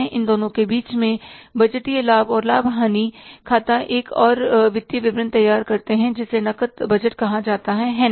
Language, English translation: Hindi, In between these two, we prepare another financial statement which is called as the cash budget